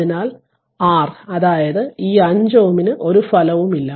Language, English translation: Malayalam, So, R that means, this 5 ohm has no effect right